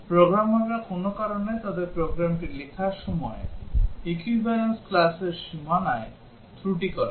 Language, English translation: Bengali, The programmers for some reason while writing their program, commit errors at the boundary of the equivalence classes